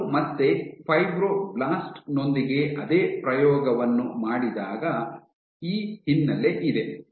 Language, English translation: Kannada, when they did the same experiment with fibroblast again you have this background